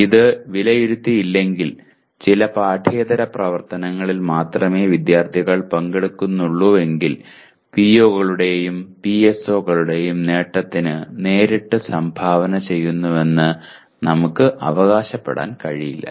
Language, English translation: Malayalam, If it is not evaluated and only students participate in some extracurricular activities that we cannot claim to be directly contributing to the attainment of POs and PSOs